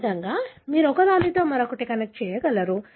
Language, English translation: Telugu, That is the way you will be able to connect one with the other